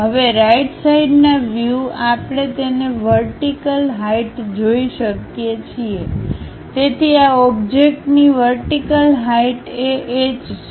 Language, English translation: Gujarati, Now from the right side view, we can see the vertical height of that so the vertical height of this object is H